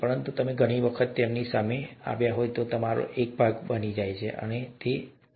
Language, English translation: Gujarati, But since you are exposed to them so many times, they become a part of you, okay